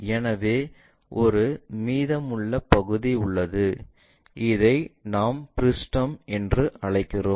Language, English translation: Tamil, So, there are leftover part, what we call frustum